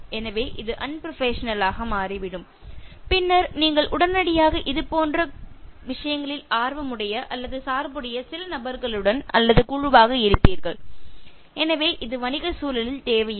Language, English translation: Tamil, So, this is becoming unprofessional and then you will immediately be grouped with some people with vested interest or bias, so which is not required in a business environment